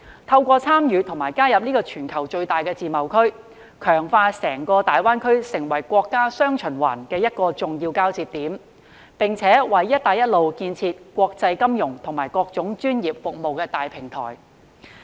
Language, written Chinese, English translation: Cantonese, 透過參與及加入這個全球最大的自由貿易協定，強化大灣區成為國家"雙循環"的重要交接點，並且為"一帶一路"建設提供國際金融與各種專業服務的大平台。, By participating and joining the worlds largest free trade agreement GBAs role as an important connection point in the countrys dual circulation will be strengthened and thus provide a major platform of international financial and various professional services for the Belt and Road Initiative